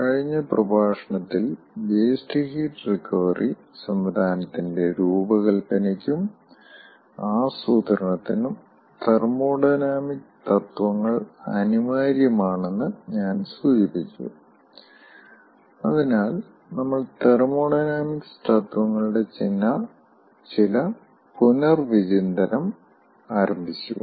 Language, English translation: Malayalam, ah, in the last lecture i have mentioned that thermodynamic principles are essential for the design and planning of waste heat recovery system and as such we have started some recapitulation of thermodynamic principles